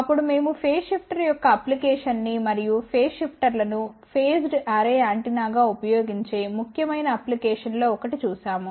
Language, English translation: Telugu, Then we looked at an application of phase shifter and one of the important application; where these phase shifters are used as phased array antenna